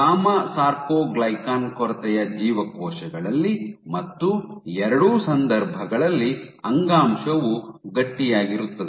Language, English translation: Kannada, In gamma soarcoglycan deficient cells and in both the cases the tissue is stiffer